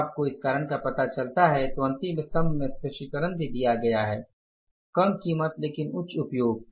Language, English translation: Hindi, When we found out the reasons for that in the last column the explanation is also given lower prices but higher usage